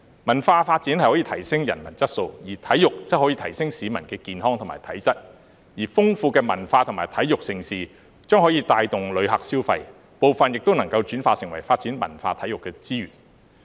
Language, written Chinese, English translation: Cantonese, 文化發展可以提升人文質素，體育則可以提升市民的健康和體質，而豐富的文化和體育盛事將可以帶動旅客消費，部分也能轉化為發展文化、體育的資源。, Cultural development can improve humanistic qualities while sports can improve the health and fitness of the public . Diversified cultural and sports events can boost tourist spending and in part can be turned into resources for cultural and sports development